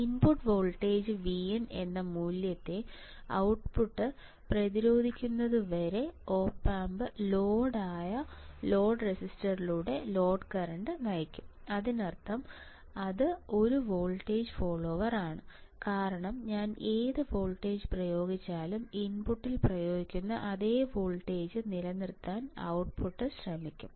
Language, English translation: Malayalam, And the load current through the load the op amp will drive the current through the load register right until the output resists its value which is input voltage V in; that means, it is nothing, but it is nothing, but a voltage follower is nothing, but a voltage follower right because whatever voltage, I apply the output will try to maintain the same voltage which is applied at the input